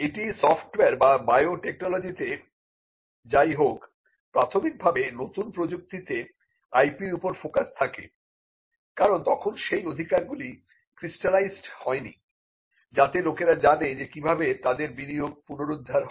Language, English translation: Bengali, Be it software or biotechnology we see that initially there is a focus on IP in a new technology because, till then the rights have not crystallized in a way in, which people know how their investment can be recouped